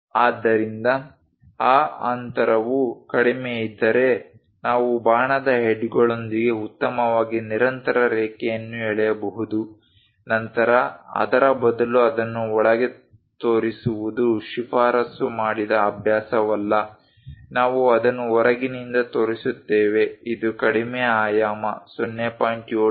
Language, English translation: Kannada, So, that a nicely a continuous line with arrow heads we can really draw it, if that gap is less, then it is not a recommended practice to show it inside instead of that, we show it from outside this is the lowest dimension 0